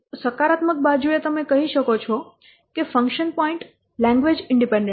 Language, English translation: Gujarati, On the positive side, you can say that function point is language independent